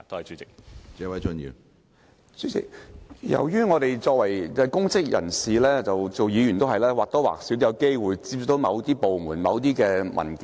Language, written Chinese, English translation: Cantonese, 主席，由於我們是公職人員及議員，我們或多或少都有機會接觸到某些部門及某些文件。, President as public officers and legislators we will have contacts with certain departments and have access to certain documents